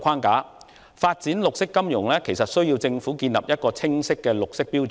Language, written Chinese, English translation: Cantonese, 為發展綠色金融，政府有需要訂定清晰的綠色標準。, To develop green finance the Government needs to set out clear green standards